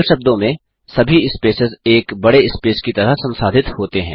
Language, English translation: Hindi, In simple words, all the spaces are treated as one big space